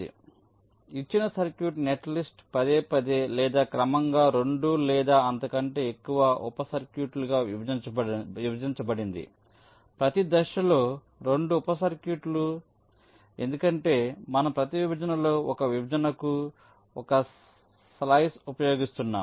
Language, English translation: Telugu, so, given circuit, netlist is repeatedly or progressively partitioned into two or more sub circuits, two sub circuits at every stage, because you are using one partition, one slice in a wave artilation